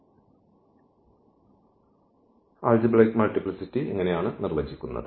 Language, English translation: Malayalam, So, what is the algebraic multiplicity